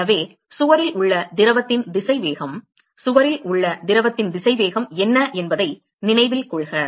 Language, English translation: Tamil, So, remember that the velocity of the fluid at the wall, what is the velocity of the fluid at the wall